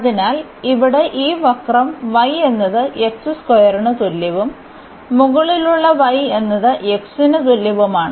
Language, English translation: Malayalam, So, here this curve is y is equal to x square and the above one here is y is equal to x